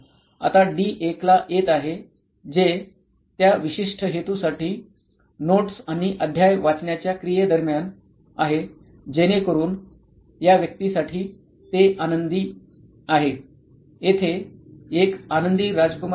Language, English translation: Marathi, Now coming to D1 that is during the activity reading the notes and chapters for that particular purpose, so that is happy for this persona, that is a happy Prince here